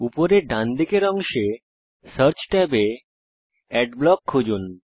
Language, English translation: Bengali, In the search tab, at the top right corner, search for Adblock